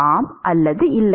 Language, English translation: Tamil, yes or no